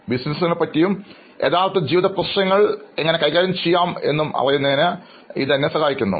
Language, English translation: Malayalam, And it is helping me with many aspects to know about businesses and how to deal with real life problems and solve them